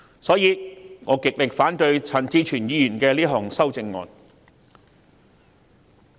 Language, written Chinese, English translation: Cantonese, 因此，我極力反對陳志全議員這項修正案。, As such I strongly oppose this amendment proposed by Mr CHAN Chi - chuen . Chairman Amendment No